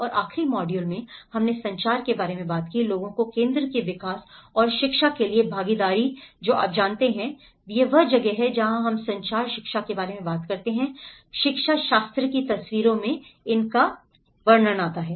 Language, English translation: Hindi, And in the last module, we talked about the communication, participation for people centre development and education you know so this is where when we talk about communication, education, the pedagogy also comes into the picture